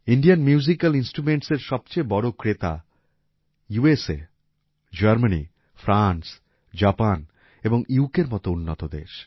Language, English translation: Bengali, The biggest buyers of Indian Musical Instruments are developed countries like USA, Germany, France, Japan and UK